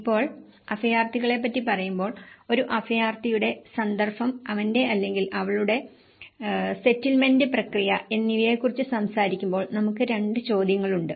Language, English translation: Malayalam, Now, when we talk about the refugee, the context of a refugee and his or her settlement process, so we have two questions